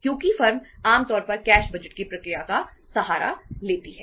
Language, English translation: Hindi, Because firms normally resort to the process of the cash budgets